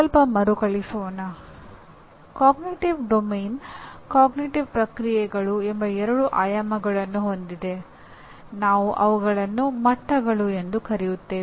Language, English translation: Kannada, Okay to recap, cognitive domain has two dimensions namely cognitive processes; we also call them levels